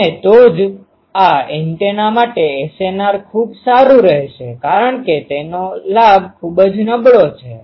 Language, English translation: Gujarati, And that is why the SNR for this antenna will be very good because its gain is very poor ah